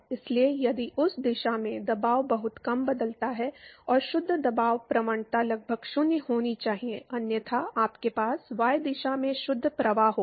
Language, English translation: Hindi, So, if the pressure changes very small in that direction and the net pressure gradient has to be approximately 0, otherwise you going to have a net flow in y direction